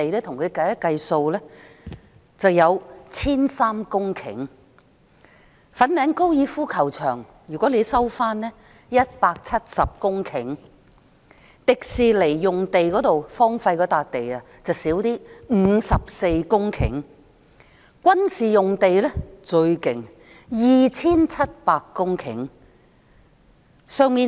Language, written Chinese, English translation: Cantonese, 如果收回粉嶺高爾夫球場，便有170公頃；迪士尼樂園用地則較少 ，54 公頃；軍事用地最多 ，2,700 公頃。, With the resumption of the Fanling Golf Course there will be 170 hectares of land . As for the Hong Kong Disneyland HKDL site it is smaller with an area of 54 hectares only . For military sites the area is 2 700 hectares